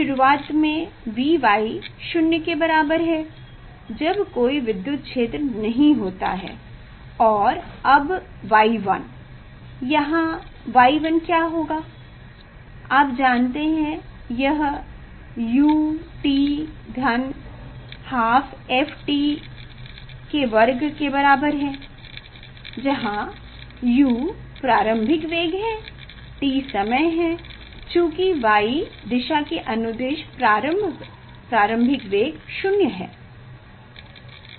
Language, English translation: Hindi, initially V y equal to 0, when there is no electric field, And now y 1, here y 1 will be you know this u t plus half f t square; u is the initial velocity, t is the time, initial velocity along the y direction is 0